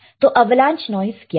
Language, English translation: Hindi, So, what is avalanche noise